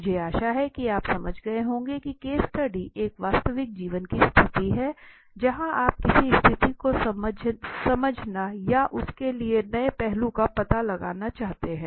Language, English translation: Hindi, I hope you have understood the case study that case study is a real life situation where you are dwelling into the case, a understanding a situation or unearthing some new aspect of it